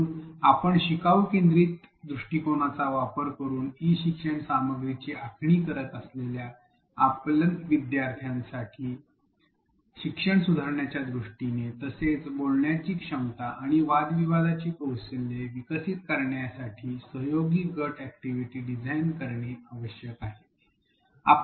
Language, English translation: Marathi, So, the takeaways here as we design e learning content using a learner centric approach is that we need to design collaborative group activities for learners to establish communication, to improve learning, to develop skills of articulation and argumentation